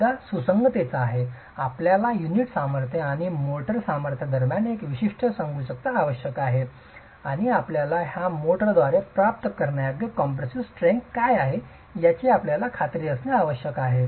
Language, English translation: Marathi, You need a certain compatibility between the unit strength and the motor strength and you need to be sure what is the compressive strength that is achievable with this motor